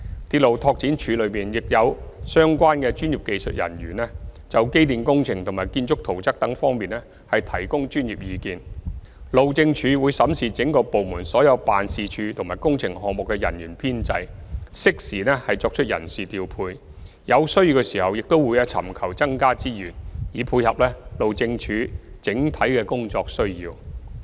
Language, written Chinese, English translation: Cantonese, 鐵路拓展處內亦有相關專業技術人員，就機電工程和建築圖則等方面提供專業意見，路政署會審視整個部門所有辦事處及工程項目的人員的編制，適時作出人事調配，有需要時亦會尋求增加資源，以配合路政署整體的工作需要。, RDO is staffed with relevant professional and technical personnel to provide professional advice on electrical and mechanical engineering drawings and building plans etc . HyD will examine the staffing establishment for all the offices and works projects under the department and timely deploy manpower . When necessary HyD will also seek additional resources to suit its overall needs at work